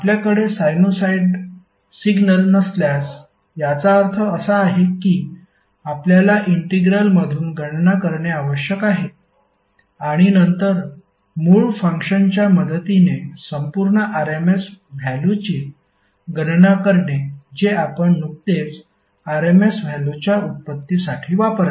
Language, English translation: Marathi, If you do not have sinusoid signal it means that you have to compute from the integral and then calculate the complete rms value with the help of the original function which we just used for derivation of rms value